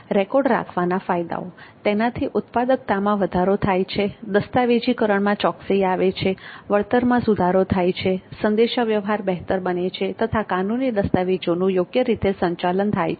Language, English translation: Gujarati, The benefits of keeping the record are increased productivity, accuracy in documentation, improved reimbursement, better communication and a legal document